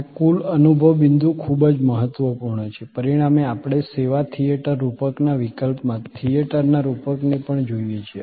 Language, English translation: Gujarati, This total experience point is very important, as a result we also look at the metaphor of theater in case of service theater metaphor